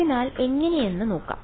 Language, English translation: Malayalam, So, let us see how